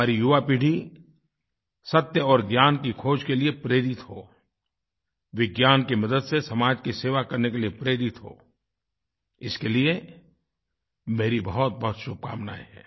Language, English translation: Hindi, May our young generation be inspired for the quest of truth & knowledge; may they be motivated to serve society through Science